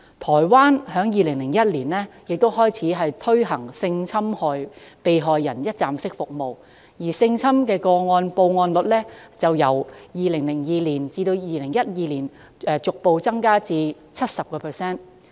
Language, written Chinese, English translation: Cantonese, 台灣在2001年亦開始推行性侵害被害人一站式服務，性侵個案報案率其後於2002年至2012年間逐步提升至 70%。, Taiwan has also introduced one - stop services for sexual violence victims in 2001 after which the reporting rate of sexual violence cases has started to increase gradually and reached the level of 70 % in 2002 to 2012